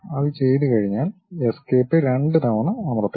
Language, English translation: Malayalam, Once it is done Escape, press Escape twice